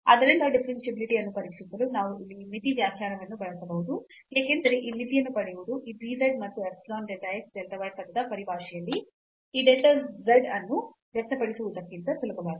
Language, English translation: Kannada, So, we can use this limit definition here for testing the differentiability, because getting this limit is easier than expressing this delta z in terms of this dz and epsilon delta x delta y term